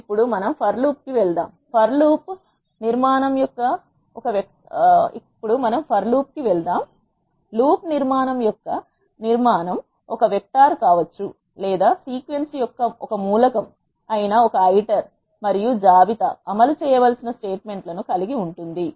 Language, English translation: Telugu, Now let us move on to the for loop the structure of for loop construct comprises of a sequence which could be a vector or a list an iter which is an element of the sequence and the statements that are needed to be executed